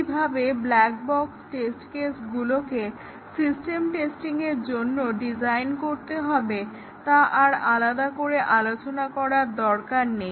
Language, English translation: Bengali, And, we do not have to really discuss separately how the black box test cases are to be designed for system testing because the same concepts are applicable here